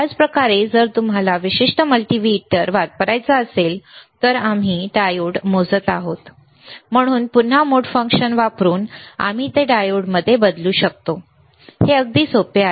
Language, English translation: Marathi, Same way, if you want to use this particular multimeter, right and we are measuring the diode; So, again using the mode function, we can change it to diode is very easy